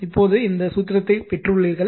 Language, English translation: Tamil, Just now, we have derived this formula